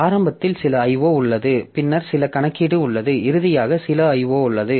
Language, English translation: Tamil, O, then there is some computation and finally there is some I